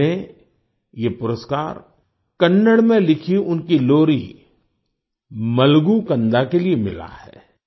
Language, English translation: Hindi, He received this award for his lullaby 'Malagu Kanda' written in Kannada